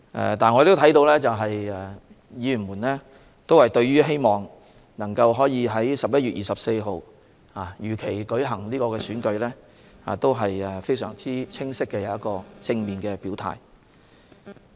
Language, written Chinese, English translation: Cantonese, 然而，所有議員均對在11月24日如期舉行選舉，作出非常清晰和正面的表態。, However all Members have clearly and positively indicated that the Election should be held on 24 November as scheduled